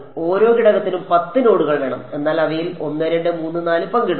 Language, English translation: Malayalam, 5 into 2 10 you would thing 10 nodes per element, but of those 1 2 3 4 are shared